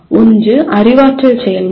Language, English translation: Tamil, One is the cognitive process